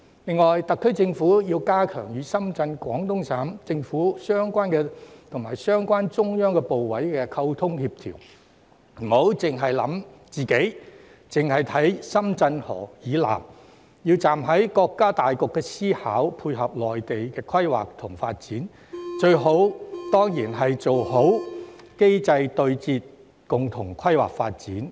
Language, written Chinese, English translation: Cantonese, 另外，特區政府要加強與深圳、廣東省政府及相關中央部委的溝通協調，不要單單考慮自己，或單看深圳河以南，並要站在國家大局思考，配合內地規劃及發展，最理想的當然是做好機制對接，共同規劃發展。, Moreover the SAR Government should strengthen its communication and coordination with Shenzhen the government of Guangdong Province and the relevant Central Government ministries instead of simply focusing on its own concerns or the situation to the south of the Shenzhen River . It has to consider with the overall picture of the country in mind and support the planning and development of the Mainland . Of course it will be most desirable for the mechanisms of the two places to tie in with each other and plan jointly for development